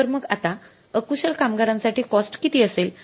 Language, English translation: Marathi, The cost of unskilled labor is going to be how much